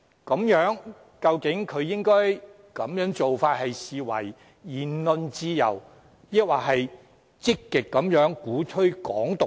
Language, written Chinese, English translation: Cantonese, 他的做法究竟應被視為言論自由，抑或是積極鼓吹"港獨"呢？, Should his action be regarded as manifestation of the freedom of speech or an active advocacy of Hong Kong independence?